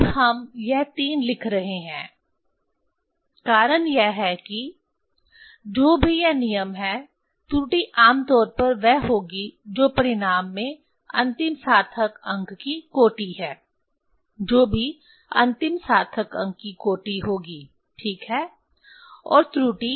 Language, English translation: Hindi, Now, this we are writing 3 reason is that the error will be generally your whatever result this rule is that this order of the last significant figure whatever the order of the last significant figure ok, and the error